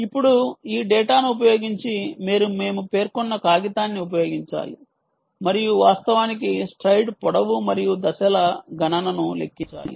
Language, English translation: Telugu, now, using this data, you have to use the ah paper that we mentioned and actually calculate the stride length and the step count